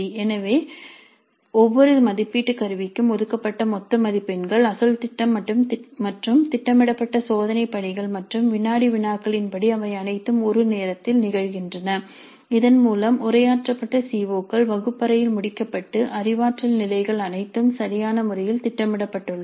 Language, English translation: Tamil, So the total marks allocated to each assessment instrument are as per the original plan and the scheduled test assignments and quizzes they all occur at a time by which the addressed CEOs have been completed in the classrooms and the cognitive levels are all appropriately planned